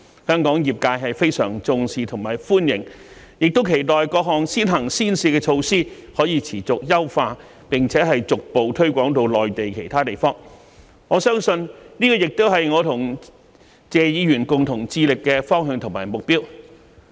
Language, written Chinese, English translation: Cantonese, 香港業界對此非常重視和歡迎，亦期待各項先行先試的措施可持續優化，並逐步推廣至內地其他地方，相信這亦是我和謝議員共同致力達到的方向和目標。, Trade practitioners of Hong Kong have attached great importance to and greatly welcome such measures and they also look forward to the continual enhancement of various measures for early and pilot implementation as well as their gradual extension to other Mainland places . I am sure this is a common direction and goal that both Mr TSE and I have striven to realize